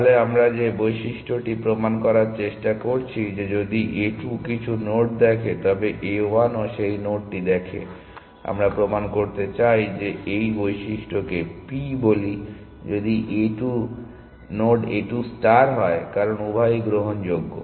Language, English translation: Bengali, So, what is the property we are trying to prove that if even if A 2 see some node then A 1 also sees that node we want to prove that let us call this property p that if A 2 sees the node A 2 star why star, because both are admissible